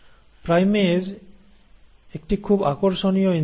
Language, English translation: Bengali, Now primase is a very interesting enzyme